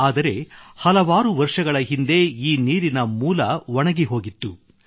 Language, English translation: Kannada, But many years ago, the source dried up